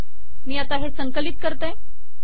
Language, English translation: Marathi, Now let me compile this